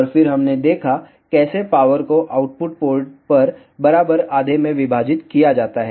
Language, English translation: Hindi, And then we saw, how the power is divided in equal half at the output ports